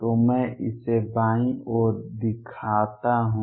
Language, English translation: Hindi, So, let me show it on the left hand side